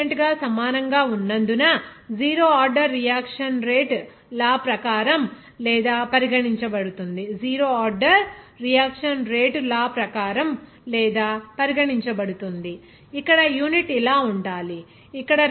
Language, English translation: Telugu, Zero order reaction will be regarded as or as per rate law as rate will be equal to constant, here unit should be like this